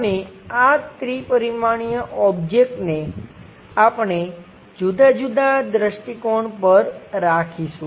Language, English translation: Gujarati, And this three dimensional object, we would like to locate in different perspectives